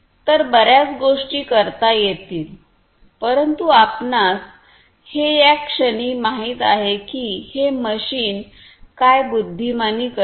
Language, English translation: Marathi, So, lot of different things could be done, but you know at this point what this machine does is intelligently